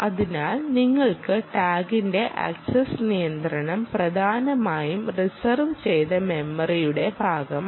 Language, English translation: Malayalam, control of the tag essentially is all part of the reserved memory